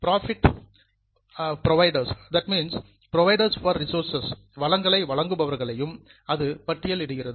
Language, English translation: Tamil, It also lists out the providers for resources which are known as the liabilities